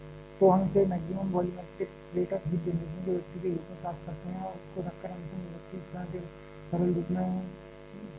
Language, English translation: Hindi, So, we get this as a expression of a maximum volumetric rate of heat generation and putting that the final expression gets simplified to a form like this